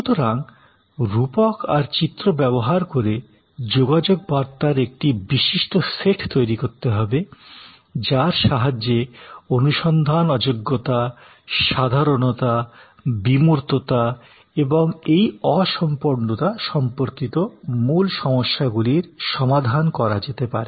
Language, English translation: Bengali, So, use metaphors images to create a vivid set of communication that address the problem of those key issues regarding non searchability, generality, abstractness and this impalpability